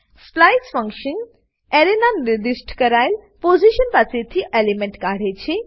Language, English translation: Gujarati, splice function removes an element from a specified position of an Array